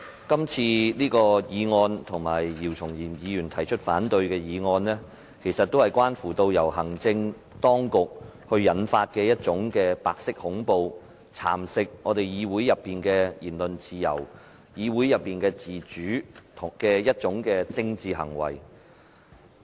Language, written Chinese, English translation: Cantonese, 這次的議案，以及姚松炎議員提出的反對議案都是關乎行政當局引發的一種白色恐怖，是蠶食議會內的言論自由和自主的政治行為。, The motion in question and the counter - motion proposed by Dr YIU Chung - yim both concern the white terror inflicted by the executive as a political attempt to erode the legislatures freedom of speech and autonomy